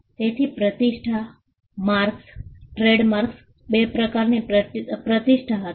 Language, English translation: Gujarati, So, reputation, marks, trademarks, were type two reputation